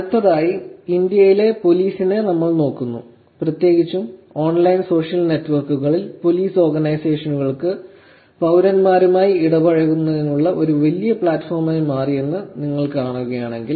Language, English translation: Malayalam, Next, we look at policing which is in India, particularly if you see online social network has become such a big platform for police organizations to use in terms of interacting with citizens